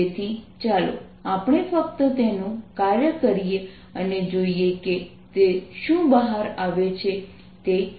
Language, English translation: Gujarati, so let's just work it out and see what it comes out to be